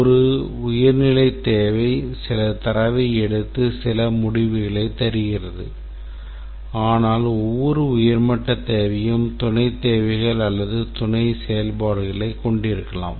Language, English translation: Tamil, A high level requirement takes some data and produces some result but then each high level requirement may consist of sub requirements or sub functions